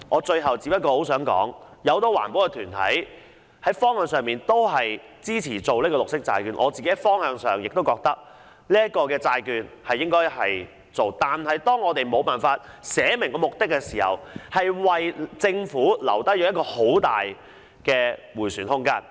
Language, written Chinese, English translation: Cantonese, 最後我想說，很多環保團體支持發行綠色債券的方向，我也認為應該發行綠色債券，但當沒有列明目的時，便會為政府留下很大的迴旋空間。, Lastly I would like to say that many environmental groups support the direction of green bonds . I too think green bonds should be issued but when the purpose is not clearly specified the Government will be given a lot of manoeuvre room